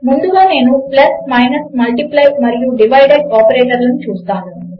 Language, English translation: Telugu, Ill first go through plus, minus, multiply and divide operations